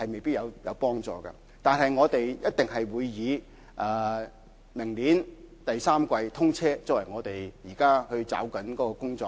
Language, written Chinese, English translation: Cantonese, 不過，我們一定會以明年第三季通車作為目標，抓緊工作。, Yet our target is definitely to see the commissioning in the third quarter next year and we will keep an eye on the time frame to get our work done